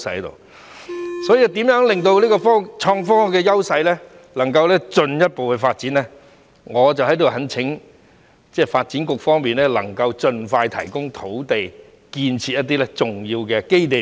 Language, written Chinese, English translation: Cantonese, 為讓創科的優勢能夠進一步發展，我在此懇請發展局能夠盡快提供土地，為我們建設一些重要的基地。, To allow further development of our advantage in IT I implore the Development Bureau to provide land as soon as possible for the development of some major bases